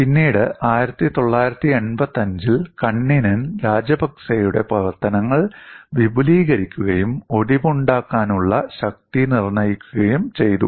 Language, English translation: Malayalam, And later Kanninen in 1985 had extended the work of Rajapakse and determined the fracture strength